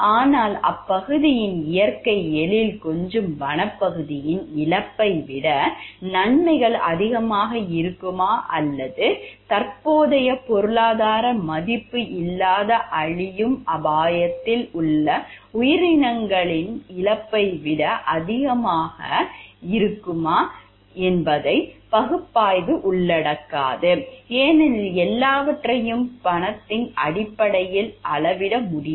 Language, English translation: Tamil, But the analysis would not include other issue whether the benefits will outweigh the loss of the scenic wilderness of the area or the loss of an endangered species with no current economic value because everything cannot be measured in terms of money